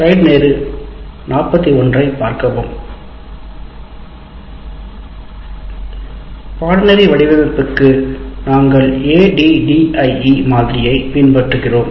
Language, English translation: Tamil, As we have, for the course design, for the course design we are following the ADD model